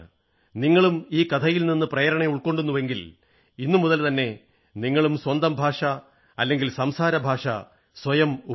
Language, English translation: Malayalam, If you too, have been inspired by this story, then start using your language or dialect from today